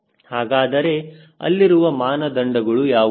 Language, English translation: Kannada, so what are the criteria